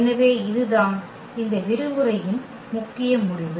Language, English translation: Tamil, So, that is the main result of this lecture